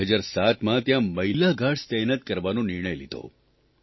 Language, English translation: Gujarati, In 2007, it was decided to deploy female guards